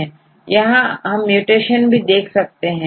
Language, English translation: Hindi, So, what is the mutation